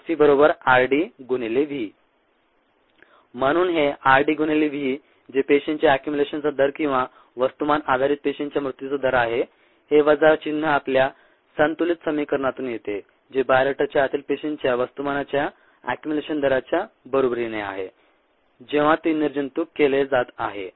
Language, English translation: Marathi, therefore, this r d into v, which is the ah rate of a consumption of cells or the rate of death of cells on a mass basis this minus comes from our ah balance equation equals the accumulation rate of the mass of cells inside the bioreactor when it is being sterilized